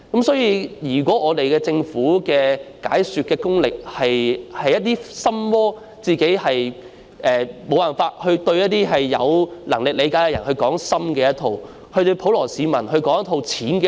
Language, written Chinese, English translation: Cantonese, 所以，政府的解說工作存在"心魔"，無法向有能力理解的人說深的一套，對普羅市民說淺的一套。, Hence the Governments explanatory work was defective in that it failed to make a deeper explanation to those who should be able to comprehend it and a simple one to the general public